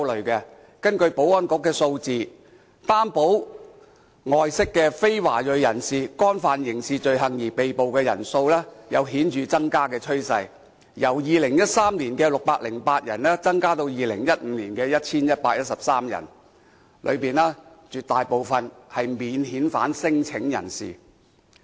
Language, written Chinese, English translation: Cantonese, 根據保安局數字，獲擔保外釋的非華裔人士，因干犯刑事罪行而被捕的人數有顯著增加的趨勢，由2013年的608人，增加至2015年的 1,113 人，當中絕大部分是免遣返聲請人士。, According to the statistics from the Security Bureau there was a rising trend in the number of non - ethnic Chinese persons on recognizance arrested for criminal offences from 608 people in 2013 to 1 113 people in 2015 and most of them were non - refoulement claimants